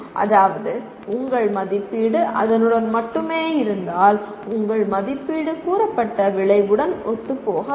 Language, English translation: Tamil, If your assessment is only limited to that, that means your assessment is not in alignment with the stated outcome